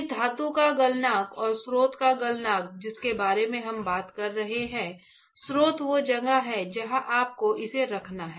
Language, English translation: Hindi, The melting point of this metal and the melting point of the source that what we are talking about; the source is where you have to holding it ok